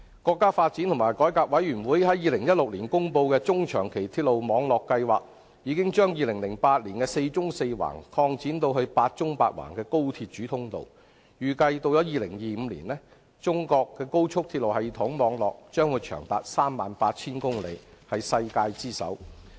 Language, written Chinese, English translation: Cantonese, 國家發展和改革委員會在2016年公布的《中長期鐵路網規劃》，已經將2008年的"四縱四橫"擴展至"八縱八橫"的高速鐵路主通道；預計到2025年，中國高速鐵路系統網絡將長達 38,000 公里，是世界之最。, The National Development and Reform Commission announced in 2016 the Medium and Long - term Railway Network Plan introducing the Eight Verticals and Eight Horizontals layout to expand the Four Verticals and Four Horizontals layout put forth in 2008 . It is predicted that the express rail system network in China will top the world in 2025 with a length of 38 000 km